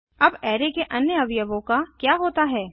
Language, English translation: Hindi, Now what about the other elements of the array